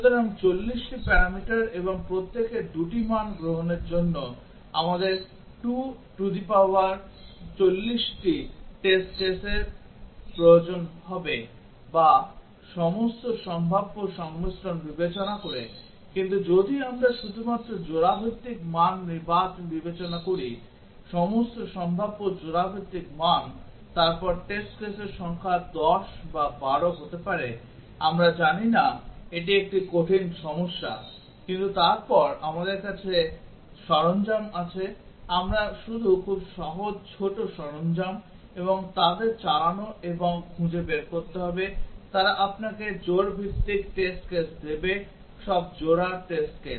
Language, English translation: Bengali, So, for 40 parameters and each one taking 2 values we will need 2 to the power 40 test cases or considering all possible combinations of values, but if we consider only pair wise values, all possible pair wise values then the number of test cases may be 10 or 12 we do not know this a hard problem to know, but then we have tools available, we will just very simple small tools and run them and find out, they will give you the pair wise test cases all pair test cases